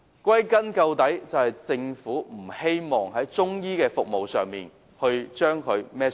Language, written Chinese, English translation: Cantonese, 歸根究底，是因為政府不希望負上營辦中醫服務的責任。, The underlying reason is that the Government does not want to take up the responsibility of operating Chinese medicine services